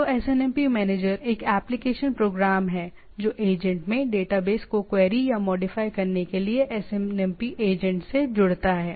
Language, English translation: Hindi, So SNMP manager is an application program that connects to the SNMP agent to query or modify the database in the agent